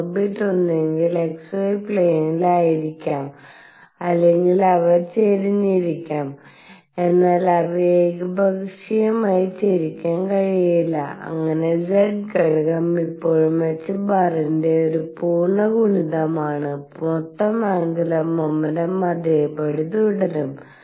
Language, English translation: Malayalam, That the orbits are such that they could be either in the x y plane or they could be tilted, but they cannot be tilted arbitrarily they would be tilted such that the z component is still an integer multiple of h cross and the total angular momentum remains the same